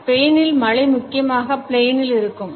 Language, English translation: Tamil, The rain in Spain stays mainly in the plane